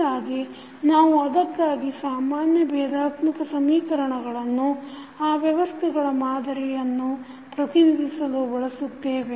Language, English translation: Kannada, So, that is why we can use the ordinary differential equations to represent the models of those systems